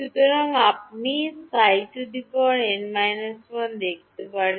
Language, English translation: Bengali, So, you can see psi n minus 1